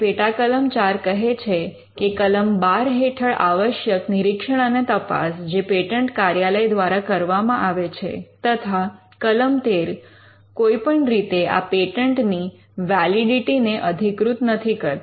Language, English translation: Gujarati, And section 13 tells us that the examination and investigations required under section 12, which is done by the patent office and this section which is section 13 shall not be deemed in any way to warrant the validity of any patent